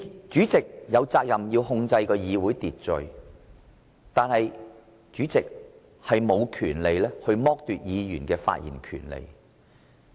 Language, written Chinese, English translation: Cantonese, 主席有責任控制會議秩序，但卻無權剝奪議員的發言權利。, The President is duty - bound to maintain order at meetings . But he does not have the power to deprive Members of their right to speak